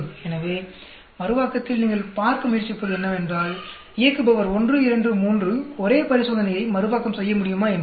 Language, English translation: Tamil, So, Reproducibility you are trying to see say seeing whether operator 1, 2, 3 are able to reproduce a same experiment